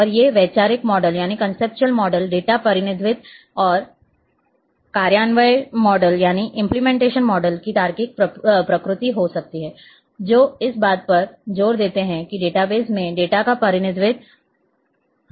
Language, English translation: Hindi, And these conceptual models may be logical nature of data representation or may implementation models, which emphasis on how the data are represented in data base